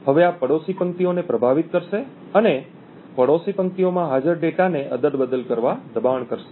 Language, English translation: Gujarati, Now this would influence the neighbouring rows and force the data present in the neighbouring rows to be toggled